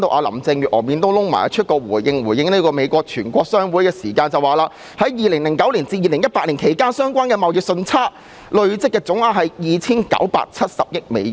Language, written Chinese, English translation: Cantonese, 林鄭月娥臉都黑了，回應美國全國商會表示，在2009年至2018年期間，相關貨物貿易順差的累計總額達 2,970 億美元。, Carrie LAM looked rather piqued and gave a reply to the US Chamber of Commerce saying that the aggregate merchandise trade surplus amounted to US297 billion from 2009 to 2018